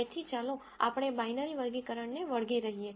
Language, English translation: Gujarati, So, let us anyway stick to binary problem